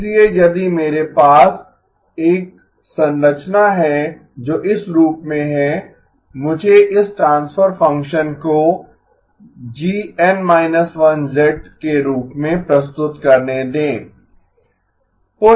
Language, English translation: Hindi, So if I have a structure which is of this form, let me represent this transfer function as G subscript n minus 1 of z